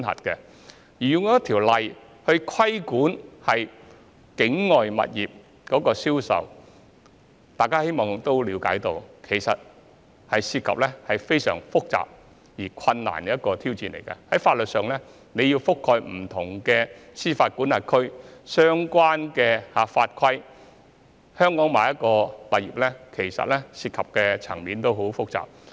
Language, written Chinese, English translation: Cantonese, 若要實施一項法例來規管境外物業的銷售，大家也可以了解，其實這是非常複雜且困難的挑戰，包括在法律上要覆蓋不同的司法管轄區和相關法規，在香港購買境外物業涉及的層面其實相當複雜。, If a piece of legislation should be enacted to regulate the sale of properties situated outside Hong Kong Members will understand that this actually would be a most complicated and difficult challenge not to mention the need for this piece of legislation to cover different jurisdictions and the relevant laws and regulations . The aspects involved in purchasing overseas properties in Hong Kong are actually rather complicated